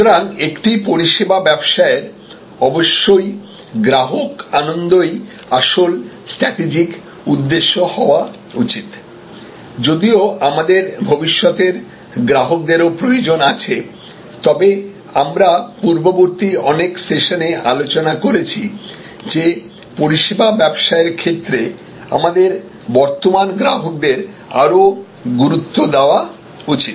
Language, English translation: Bengali, So, customer delight should be the real strategic objective in a services business of course, we need future customers, but as we have discussed in many earlier sessions that in services business more important should be given to our current customers